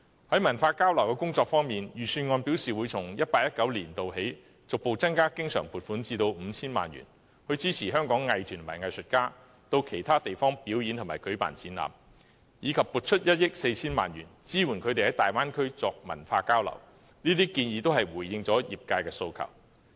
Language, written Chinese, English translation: Cantonese, 在文化交流工作方面，預算案表示會從 2018-2019 年度起，逐步增加經常撥款至 5,000 萬元，以支持香港藝團和藝術家到其他地方表演和舉辦展覽，以及撥出1億 4,000 萬元，支援他們在粵港澳大灣區作文化交流，這些建議都回應了業界的訴求。, Regarding cultural exchanges the Budget indicated that from 2018 - 2019 onwards the recurrent provision would be progressively increased to 50 million to support Hong Kongs arts groups and artists to perform and stage exhibitions outside Hong Kong and 140 million would be allocated to supporting their cultural exchanges in the Guangdong - Hong Kong - Macao Bay Area . These proposals have answered the aspirations of the sectors